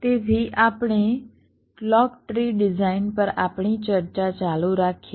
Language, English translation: Gujarati, so we continue with our discussion on clock tree design